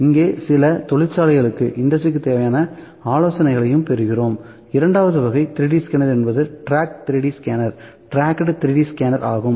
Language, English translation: Tamil, So, also getting some industry consultancy here as well so, 2nd type of 3D scanner is tracked 3D scanner; tracked 3D scanner